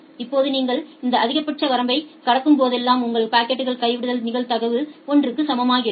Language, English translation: Tamil, Now, whenever you are crossing this maximum threshold your packet drop probability becomes equals to 1